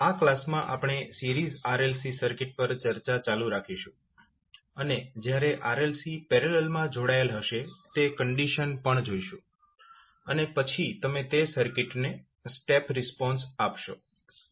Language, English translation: Gujarati, In this class we will continue a discussion on Series RLC Circuit and we will also see the condition when your RLC are connected in parallel and then you provide the step response to that circuit